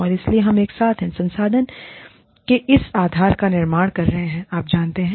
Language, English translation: Hindi, And so, we are together, building this base of resource, you know